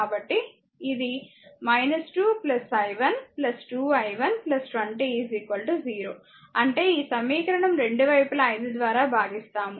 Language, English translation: Telugu, So, it is minus 2 plus i 1 plus 2 i 1 plus 20 I mean this equation both side divided by your 5